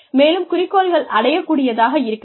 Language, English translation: Tamil, And then, objectives should be attainable